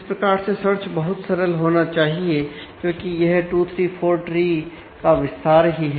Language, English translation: Hindi, So, search should be very simple, because its just an extension of what you did in 2 3 4 trees